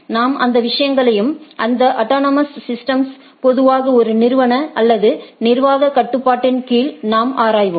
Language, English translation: Tamil, We will we will look into those things and these autonomous systems usually under one organizational or administrative control